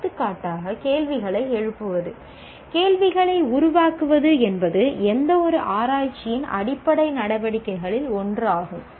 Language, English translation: Tamil, For example, raising questions, generating questions is one of the fundamental activities of any research, of any research